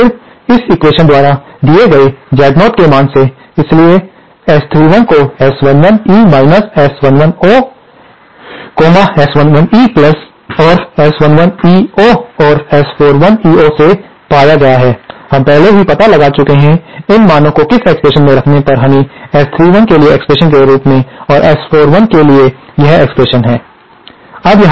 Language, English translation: Hindi, And then from the value of Z0 given by this equation, so, S 31 is found out from S11 E S 11 O, S11 E and S 11 EO and S41EO, we have already found out, plug in these values into these equations, we get this as the expression for S 31 and this as the expression for S 41